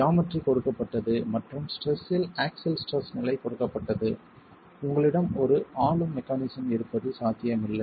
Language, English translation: Tamil, Given geometry and given the level of stress, axial stress, it's not likely that you have one governing mechanism